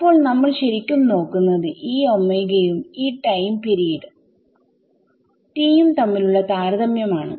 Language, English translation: Malayalam, So, what we should actually be looking at is the comparison between delta t and this time period T capital T